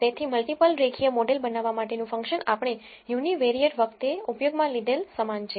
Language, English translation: Gujarati, So, the function to build a multiple linear model is same as what we used in the univariate case